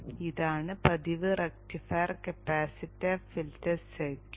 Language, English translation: Malayalam, This is the regular rectified capacitor filter circuit